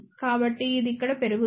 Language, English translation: Telugu, So, this will go up over here